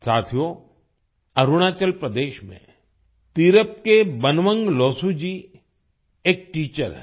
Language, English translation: Hindi, Friends, Banwang Losu ji of Tirap in Arunachal Pradesh is a teacher